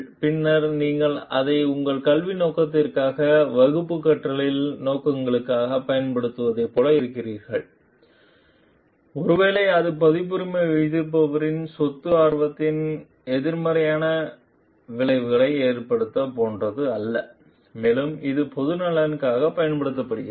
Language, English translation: Tamil, And then you are like using it for your education purpose, class teaching purposes, maybe it is not like putting a negative effect of the copyright holders property interest and it is used in the public interest also